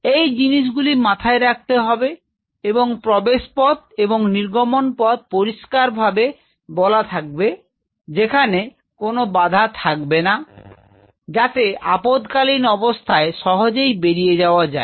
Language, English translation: Bengali, So, these are the things which you have to keep in mind, keep in mind your entry and exit should be very clearly defined and free from any obstruction in case of any emergency evacuation